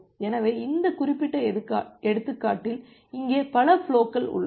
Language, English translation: Tamil, So, in this particular example we have multiple flows here